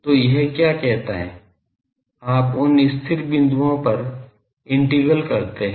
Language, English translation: Hindi, So, what it says that you evaluate the integral on those stationary points